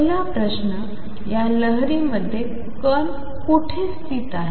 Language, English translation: Marathi, Number one is where in the wave Is the particle located